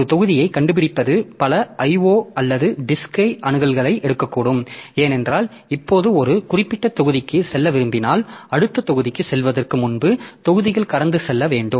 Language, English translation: Tamil, Locating a block can take many IOs or disk accesses because now for a particular block if you want to go so it has to traverse the blocks before that going by that corresponding index to the next block so like that